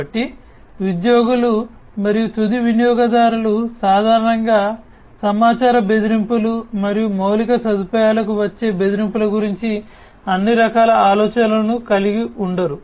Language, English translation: Telugu, So, employees and the users, end users in fact, typically do not have all types of idea about the information threats, threats to the infrastructure and so on